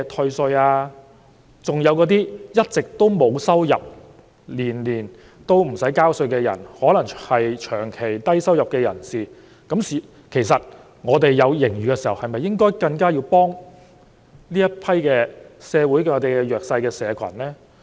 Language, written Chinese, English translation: Cantonese, 其實，社會上還有些一直沒有收入，每年也不用繳稅的人，他們可能是長期低收入入士，當政府有盈餘的時候，是否更應該幫助社會上更弱勢的社群？, In fact there are some people in society who have never been chargeable to tax due to the low level of income . They may be the chronically low - income people . When the Government is enjoying financial surplus should it give higher priority in helping these socially disadvantaged groups?